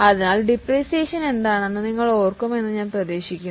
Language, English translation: Malayalam, So, I hope you remember what is depreciation